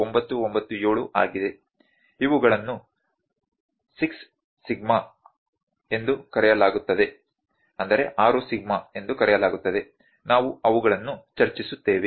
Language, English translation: Kannada, 997 those are known as 6 sigma we will discuss those